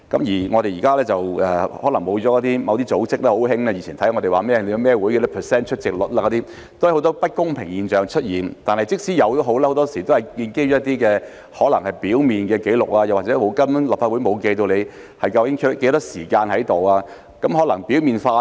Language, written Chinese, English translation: Cantonese, 現在可能沒有了某些組織，它們很喜歡監察議員參加了哪些委員會及其出席率，但這方面都出現很多不公平的現象，而且很多時候建基於可能是表面的紀錄，又或是立法會根本沒有記錄議員在席的時間，故這方面可能比較表面化。, Certain organizations may have been disbanded now and they very much liked to keep watch on which committees Members had joined as well as their attendance rate . But there had been many unfair phenomena in this regard and more often than not their findings were based on what might be superficial records or the Legislative Council actually did not keep records of the time during which Members were present at meetings and so their findings might be quite superficial